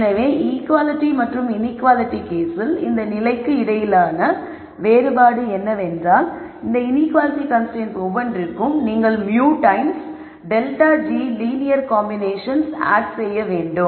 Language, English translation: Tamil, So, the difference between this condition in the equality and inequality case is that for every one of these inequality constraints you add more linear combinations of mu times delta g